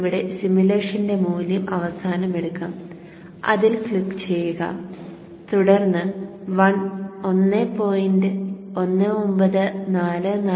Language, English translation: Malayalam, So let us take the value at the end of the simulation here